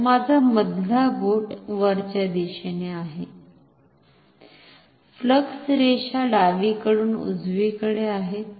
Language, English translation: Marathi, So, my middle finger is upwards, flux lines are left to right